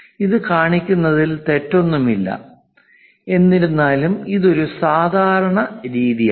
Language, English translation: Malayalam, There is nothing wrong in showing this; however, this is not a standard practice